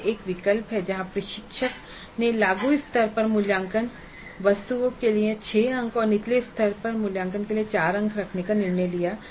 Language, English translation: Hindi, So this is one choice where the instructor has decided to have six marks for assessment items at apply level and four marks for assessment items at lower levels